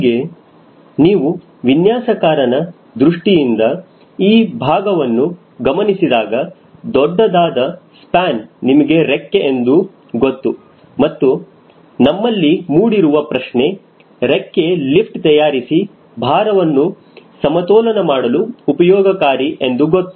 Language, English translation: Kannada, if you further see from a designer point of view, this portion, the huge, large span, you know its the wing and the question comes to our mind: the wing is primarily to produce enough lift to balance the weight of the airplane